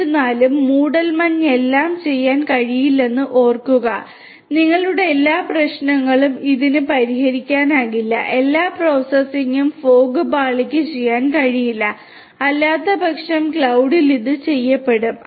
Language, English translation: Malayalam, However, keep in mind that fog cannot do everything; it cannot solve all your problems it is not that fog layer can do all the processing, that would be otherwise done at the cloud